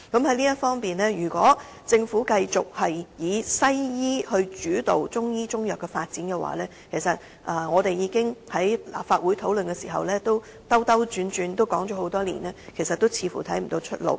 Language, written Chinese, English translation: Cantonese, 就此，如果政府繼續以西醫模式主導中醫及中藥的發展，便正如我們在立法會內兜兜轉轉地討論多年，似乎沒有出路。, In this regard if the Government continues to develop Chinese medicine services and Chinese medicine under an approach dominated by the Western medicine model it looks like this will lead us nowhere just like our many years of discussions in the Legislative Council which have kept going around in circles